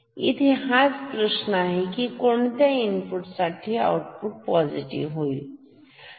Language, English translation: Marathi, So, for what input output will become positive